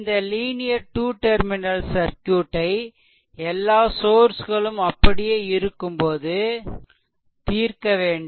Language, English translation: Tamil, So, linear 2 terminal circuit, this whole thing you have to solve keeping that all the sources intact right